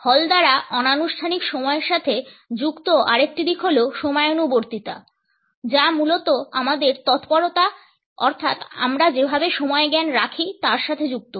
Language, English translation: Bengali, Another aspect which is associated by Hall with informal time is punctuality; which is basically our promptness associated with the way we keep time